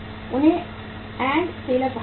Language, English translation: Hindi, They are called as end sellers